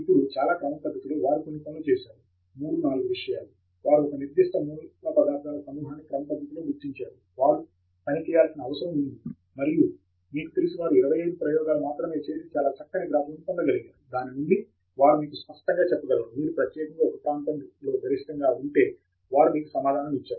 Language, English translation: Telugu, Now, very systematically they have done some three, four things; they have systematically identified a specific set of materials which they need to work on, and they have done only you know 25 experiments, from that they were able to get a very nice pair of graphs, from that they could you know clearly tell you that one particularly region is a maximum, they give you the answer